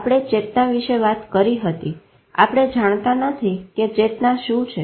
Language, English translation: Gujarati, We talked about consciousness, we don't know what is consciousness